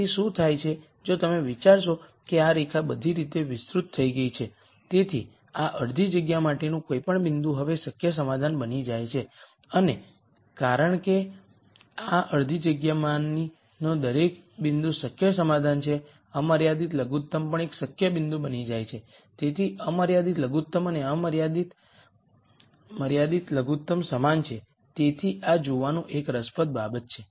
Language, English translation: Gujarati, Then what happens is if you think of this line is extended all the way, any point to this half space now becomes a feasible solution and because every point in this half space is a feasible solution the unconstrained minimum also becomes a feasible point so the constrained minimum and unconstrained minimum are the same so this is an interesting thing to see